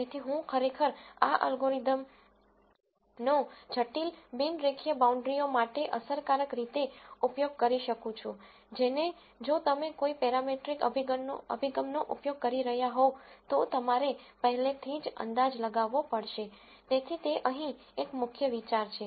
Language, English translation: Gujarati, So, I can actually effectively use this algorithm for complicated non linear boundaries, which you would have to guess a priori if we were using a parametric approach, so that is a key idea here